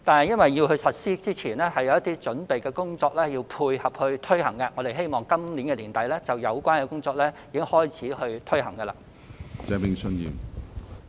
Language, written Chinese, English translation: Cantonese, 由於實施前需要進行一些準備工作以配合措施的推行，我們因而希望在今年年底開始推行有關工作。, Since preparatory work has to be done to dovetail with the implementation of the measure we hope that we can start taking forward the relevant work at the end of this year